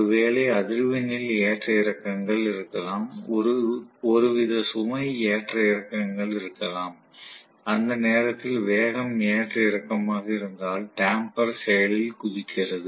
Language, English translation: Tamil, Maybe there is a frequency fluctuation, maybe there is some kind of load fluctuation, if the speed fluctuates at that point damper jumps into action